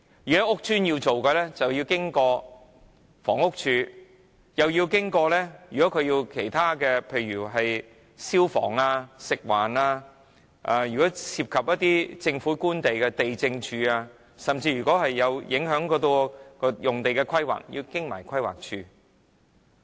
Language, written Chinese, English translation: Cantonese, 如果要在屋邨舉行，要通過房屋署，又要通過其他如消防處、食物環境衞生署，如果涉及政府官地，要找地政處，如果會影響用地規劃，更要通過規劃署。, If the bazaar is held in a PRH estate it must obtain the approval of the Housing Department the Fire Services Department and the Food and Environmental Hygiene Department; if the bazaar is held on government land it also needs the approval of the Lands Department; and if land use planning is affected approval from the Planning Department is also needed